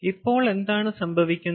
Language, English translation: Malayalam, so then what happens